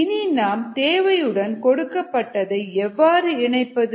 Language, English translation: Tamil, and what is how to connect what is needed to what is given